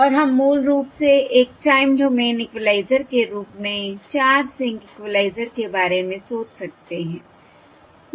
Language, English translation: Hindi, So previously we have all seen the 0: 4 sync equaliser And this we can think of 0, 4 sync equaliser as basically a time domain equaliser